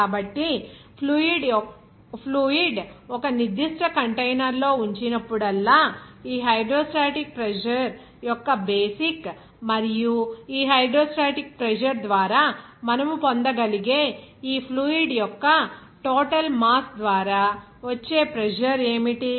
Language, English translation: Telugu, So, this is the basic of this hydrostatic pressure whenever fluid will be kept in a certain container and what will be the pressure exerted by the total mass of this fluid that you can get by this hydrostatic pressure